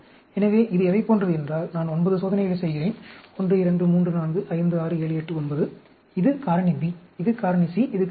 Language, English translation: Tamil, So, this is like, I am doing 9 experiments; 1, 2, 3, 4, 5, 6, 7, 8, 9, and this is Factor B, this is Factor C, and this is Factor A